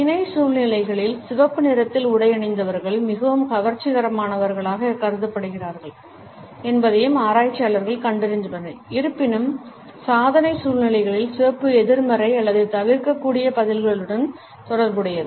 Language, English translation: Tamil, Researchers have also found that in affiliative situations, people who are attired in red color are perceived to be more attractive, however in achievement situations red is associated with negative or avoidant responses